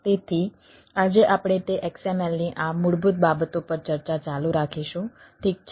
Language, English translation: Gujarati, so today we will continue that, that discussion, and on this basics of xml